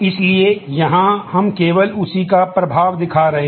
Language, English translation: Hindi, So, here we are just showing the effect of that